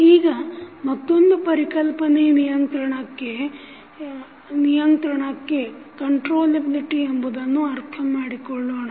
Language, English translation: Kannada, Now, let us try to understand another concept called concept of controllability